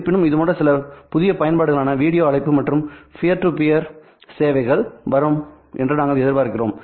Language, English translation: Tamil, However, we also expect such certain novel applications to come up such as video calling and peer to peer services